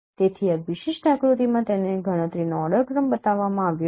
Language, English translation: Gujarati, So in this particular, uh, particular figure it has been shown, uh, the order of computation